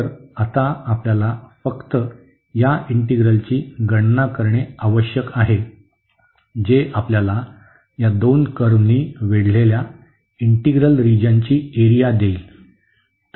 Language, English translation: Marathi, So, we need to compute simply this integral now, which will give us the area of the region enclosed by these two curves